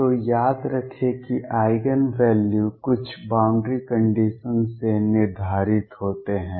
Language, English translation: Hindi, So, recall That Eigen values are determined by some boundary condition